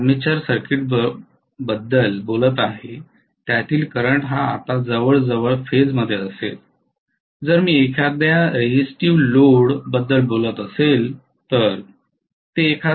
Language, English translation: Marathi, The current what I am talking about in the armature circuit it will be almost in phase if I am talking about a resistive load